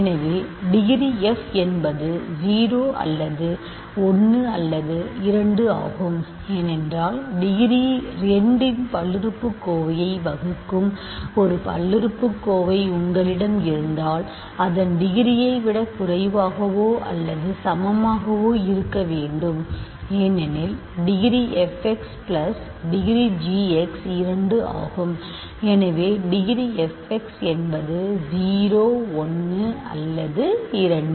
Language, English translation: Tamil, So, degree f is 0 or 1 or 2, that means because if you have a polynomial that divides a polynomial of degree 2 its degree must be less than or equal to that right because degree of the product is the sum of the degrees degree f x plus degree of g x is 2; so, degree f x 0 1 or 2